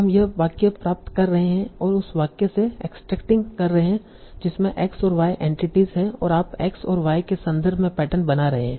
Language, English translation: Hindi, From this sentence you are abstracting over your entity is X and Y and you are building patterns in terms of X and Y